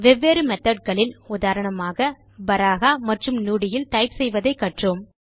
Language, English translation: Tamil, We also saw how to type in different methods, for example, Baraha and Nudi